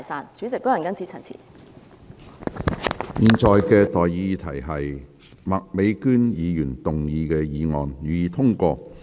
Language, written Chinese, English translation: Cantonese, 我現在向各位提出的待議議題是：麥美娟議員動議的議案，予以通過。, I now propose the question to you and that is That the motion moved by Ms Alice MAK be passed